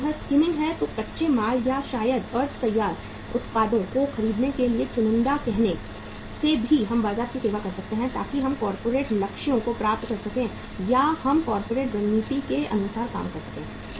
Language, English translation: Hindi, If it is skimming then even by being being say selective in buying the raw material or maybe the semi finished products we can serve the market so we can achieve the corporate goals or the we can we can work as per the corporate strategy